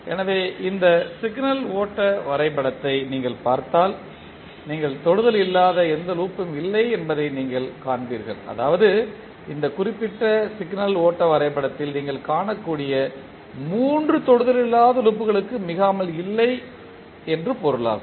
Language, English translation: Tamil, So, if you see this signal flow graph you will not be, you will see that there is no any non touching loop, which means there is no, not more than three non touching loops you can see in this particular signal flow graph